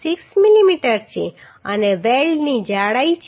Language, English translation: Gujarati, 6 millimetre and thickness of the weld is 7